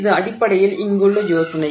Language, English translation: Tamil, So, that is the general idea